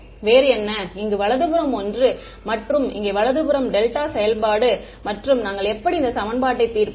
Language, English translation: Tamil, What is different is, here the right hand side is something and here the right hand side is delta function and how did we solve this equation